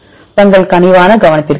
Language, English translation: Tamil, Thank you for your kind attention